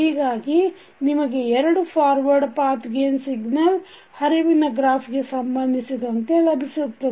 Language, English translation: Kannada, So you will get two forward Path gains with respect to the signal flow graph which we see in this figure